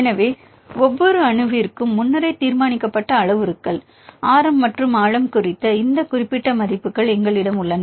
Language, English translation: Tamil, So, for each atom; so, we have these specific values for the radius and well depth the predetermined parameters